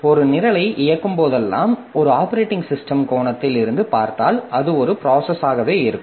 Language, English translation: Tamil, So, whenever we are running a program, so from an operating system angle, so it is looked as a process